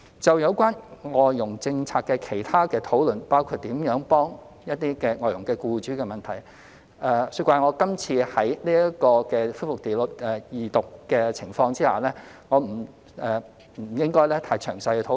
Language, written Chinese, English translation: Cantonese, 就有關外傭政策的其他討論，包括如何幫助外傭僱主的問題，恕我這次在恢復二讀辯論的情況下，不應太詳細討論。, Regarding other discussions on FDH policy including how to assist the employers of FDHs I am sorry that I should not go into too much detail during the resumption of the Second Reading debate